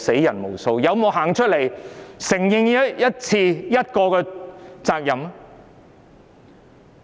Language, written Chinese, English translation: Cantonese, 他們有沒有任何一次承認責任？, Had they acknowledged their responsibility in any one of these cases?